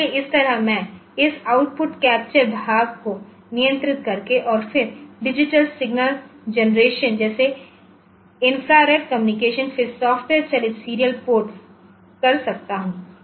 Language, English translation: Hindi, So, that way I can do that by controlling this output capture part and then the digital signal generation like infrared communication then software driven serial ports